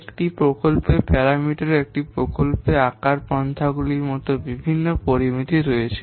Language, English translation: Bengali, In a project parameter, in a project there are different parameters such as size, etc